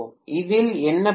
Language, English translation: Tamil, What is the problem with this